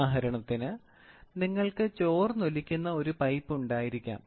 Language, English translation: Malayalam, For example, you can have pipe which is leaking